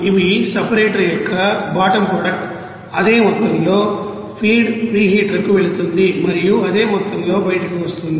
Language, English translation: Telugu, And these are you know bottom product of the separator will go to the you know feed preheater the same amount and to be coming out also the same amount